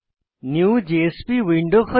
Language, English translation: Bengali, A new JSP window opens